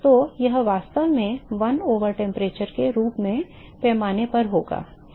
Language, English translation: Hindi, So, that will really scale as sort of 1 over temperature